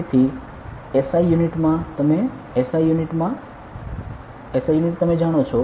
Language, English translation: Gujarati, So, in SI units you know SI units it is ok